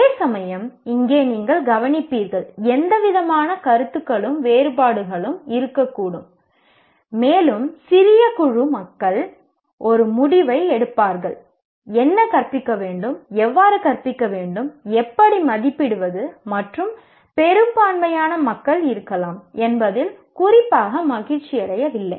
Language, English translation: Tamil, And this is where, as you will notice, there can be any number of opinions and differences and the small group of people will make a decision what to teach, how to teach, how to assess, and maybe majority of the people are not particularly happy with that